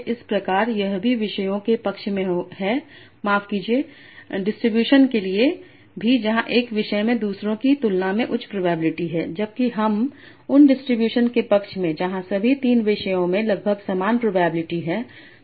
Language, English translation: Hindi, So I can use that to say that I will prefer distributions where one topic has a high probability and others have very low probability or I will like to have a distribution where all the topics have equal probability